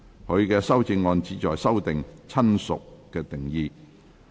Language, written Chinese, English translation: Cantonese, 他的修正案旨在修訂"親屬"的定義。, His amendment seeks to amend the definition of relative